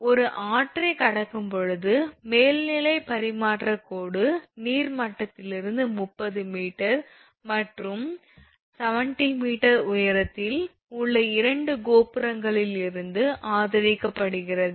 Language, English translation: Tamil, An overhead transmission line at a river crossing is supported from two towers at heights of 30 meter and 70 meter above the water level